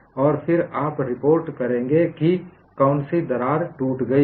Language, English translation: Hindi, And then, you would report which crack has broken